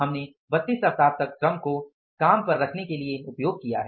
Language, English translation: Hindi, We have to put the labor on the job for 32 weeks